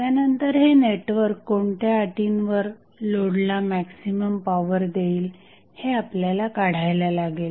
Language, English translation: Marathi, Now, what we have to find out that under what condition the maximum power would be supplied by this network to the load